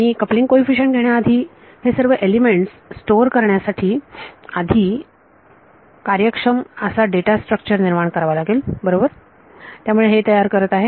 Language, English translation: Marathi, Before I make the coupling coefficients I need to create efficient data structures to store of all these elements rights so, this is creating